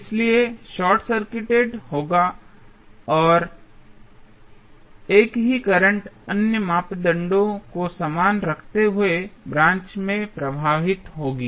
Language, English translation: Hindi, So, this would be short circuited and the same current will flow in the branch keeping other parameters same